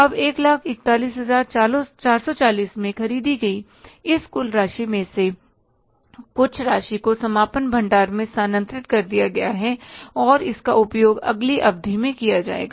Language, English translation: Hindi, Now, out of this total amount purchased for 1,040,440, some amount is shifted to the closing stock and that will be used in the next period